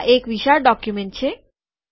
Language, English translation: Gujarati, Its a huge document